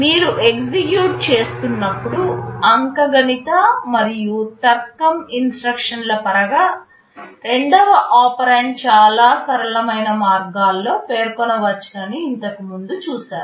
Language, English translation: Telugu, Earlier you have seen in terms of the arithmetic and logic instructions when you are executing, the second operand can be specified in so many flexible ways